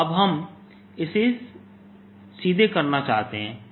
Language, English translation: Hindi, but now we want to do it directly